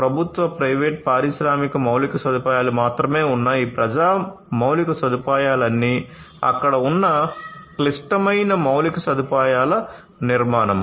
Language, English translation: Telugu, All these public infrastructure that are there not only public, private you know industry infrastructure all this critical infrastructure that are there